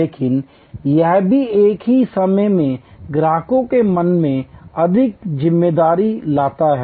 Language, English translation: Hindi, But, it also at the same time brings more responsibility in the customers mind